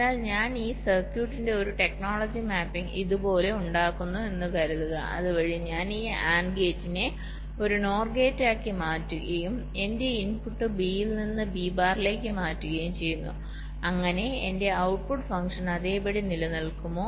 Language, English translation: Malayalam, but suppose i make a technology mapping of this circuits like this, so that i modify this and gate into a nor gate, and i change my input b from b to b bar, such that my, my output function remains the same